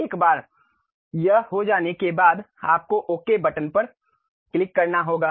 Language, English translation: Hindi, Once it is done, you have to click Ok button